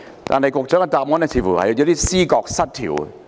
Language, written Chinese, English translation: Cantonese, 但是，局長的答覆似乎有點思覺失調。, However the reply of the Secretary seems to be somehow contradictory